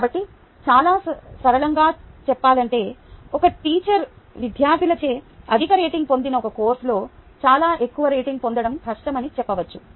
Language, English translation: Telugu, so very simply say: ah, one can say that is a difficult for a teacher to get a very high rating in a course which is not rated very highly by students